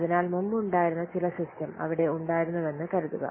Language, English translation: Malayalam, So suppose it was earlier some existing system was there